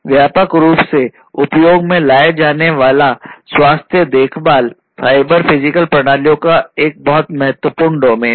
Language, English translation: Hindi, Healthcare is a very important domain where cyber physical systems are widely used